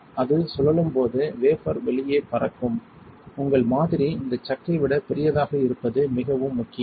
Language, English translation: Tamil, So, when it spins the wafer will fly out, it is very important that your sample is bigger than this chuck